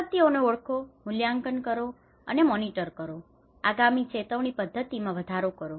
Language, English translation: Gujarati, Identify, assess and monitor disasters and enhance early warning systems